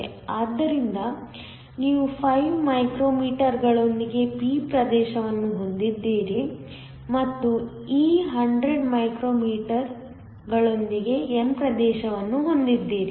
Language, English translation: Kannada, So, you have a p region with is 5 micro meters and the n region with this 100 micro meters